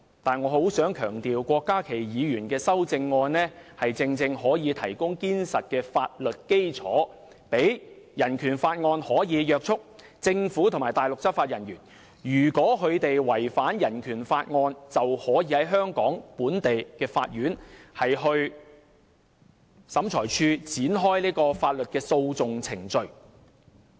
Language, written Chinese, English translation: Cantonese, 但是，我很想強調，郭家麒議員的修正案正正可以提供堅實的法律基礎，讓《人權法案條例》可以約束政府和內地執法人員，如果他們違反《人權法案條例》，便可以在香港本地的法院或審裁處展開法律訴訟程序。, However I wish to stress that Dr KWOK Ka - kis amendment can precisely serve to provide a solid legal basis so that BORO can restrain the Government and Mainland law enforcement officers and in the event that they violate BORO legal proceedings can be initiated in courts or tribunals in Hong Kong